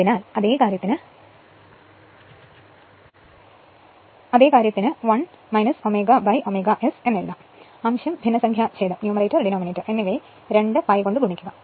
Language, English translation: Malayalam, So, same thing you can write 1 minus omega by omega S also you multiply numerator and denominator by 2 pi